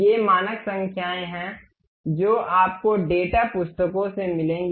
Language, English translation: Hindi, These are the standard numbers what you will get from data books